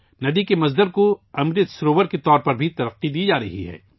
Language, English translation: Urdu, The point of origin of the river, the headwater is also being developed as an Amrit Sarovar